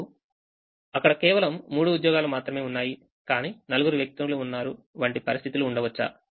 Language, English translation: Telugu, now, can there be situations where there are only three jobs but there are four people